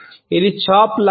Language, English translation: Telugu, It is like a chop